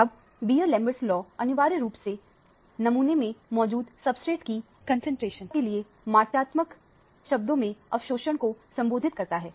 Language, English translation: Hindi, Now, the Beer Lambert law is essentially correlates the absorbance in quantitative terms to the concentration of the substrate that is present in the sample